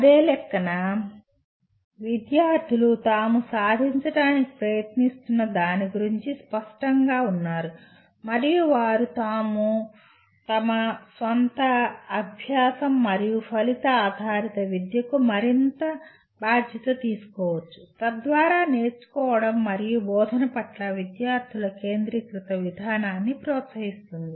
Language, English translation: Telugu, And on the same count students are clear about what they are trying to achieve and they can take more responsibility for their own learning and outcome based education thus promotes a student centered approach to learning and teaching